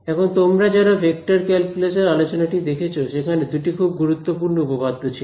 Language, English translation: Bengali, Now those of you who saw the review lecture on a vector calculus, there were two very important theorems